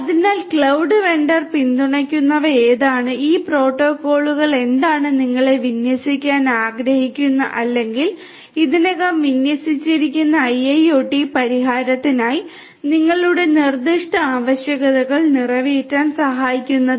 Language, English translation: Malayalam, So, which ones are there that are supported by the cloud vendor and what will which of these protocols are going to help you cater to your specific requirements that you have for the IIoT solution that you want to deploy or is already deployed